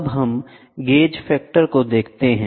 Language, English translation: Hindi, Now, let us look at the gauge factor